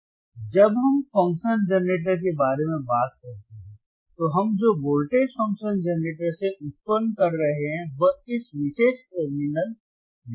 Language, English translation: Hindi, So, when we talk about function generator, right in front of function generator the voltage that we are generating from the function generator will apply at this particular terminal V 1 alright